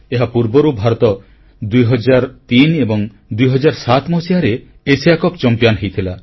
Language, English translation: Odia, India had earlier won the Asia Cup in Hockey in the years 2003 and 2007